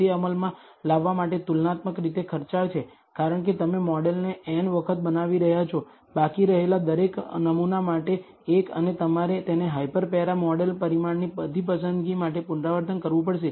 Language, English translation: Gujarati, It is comparatively expensive to implement because you are building the model n times, one for each sample being left out and you have to repeat this for all choice of the hyper para model parameter